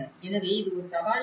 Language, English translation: Tamil, So, these are some major challenges